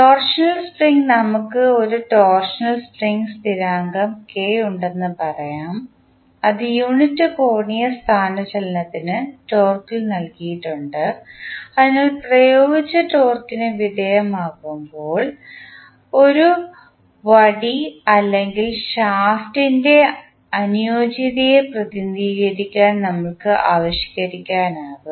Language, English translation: Malayalam, Torsional spring let us say we have a torsional spring constant k that is given in torque per unit angular displacement, so we can devised to represent the compliance of a rod or a shaft when it is subject to applied torque